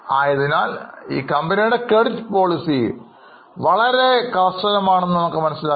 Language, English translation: Malayalam, So, you will realize that their credit policies are very strict